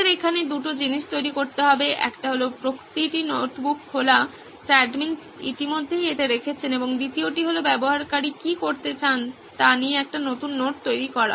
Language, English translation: Bengali, Two things we’ll have to create here, one is the opening each notebook what the admin has already put up into this and two is the new notetaking what a user would want to do